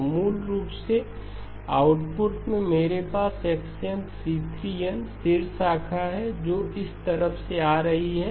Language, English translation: Hindi, So basically at the output I have x of n c3 of n from the top branch that is what is coming from this side